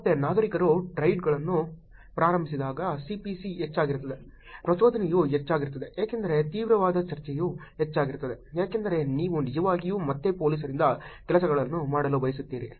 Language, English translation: Kannada, Again when the citizens initiated threads, the C P C is higher, the arousal because the intensive discussion is higher because you want actually get things done from police again